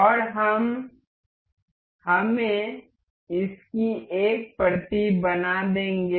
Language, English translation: Hindi, And we will make let us just make a copy of this